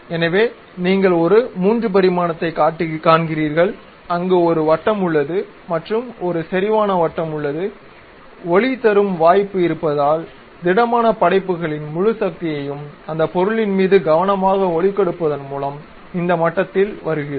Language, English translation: Tamil, So, let us look at that you see a 3 dimensional there is a circle and there is a concentric circle and because of lighting, the entire power of solid works comes at this level by carefully giving light on that object